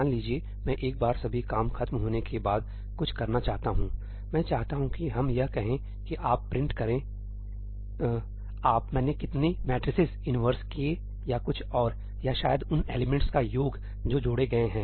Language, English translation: Hindi, Suppose I want to do something at the end once all the work is over, I want to, let us say, print that how many matrices did I inverse, or something on the other, or maybe the sum of the elements that are added